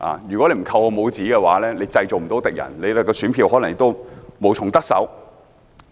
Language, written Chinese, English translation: Cantonese, 如果議員不扣我帽子，便不能製造敵人，選票亦可能無從得手。, If Members do not pin a label on me they cannot create an enemy and may not obtain any votes as a result